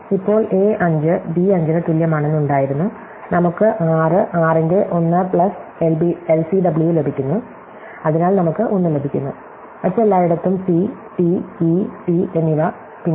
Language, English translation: Malayalam, So, now, at this point we had that a 5 is equal to b 5, therefore we get 1 plus LCW of 6, 6 and therefore we get a 1, everywhere else c and t, e and t, then are no other t